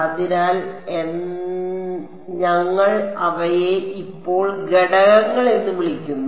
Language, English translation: Malayalam, So, but we are calling them elements now ok